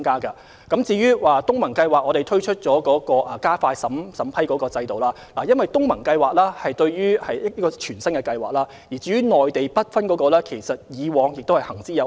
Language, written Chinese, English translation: Cantonese, 政府就東盟計劃推出加快審批的程序，因為這是一項全新的計劃，而 BUD 專項基金的內地計劃則一直行之有效。, The Government has introduced measures to expedite the vetting process under the ASEAN programme because it is a brand new programme whereas the Mainland Programme under the BUD Fund has been running effectively all along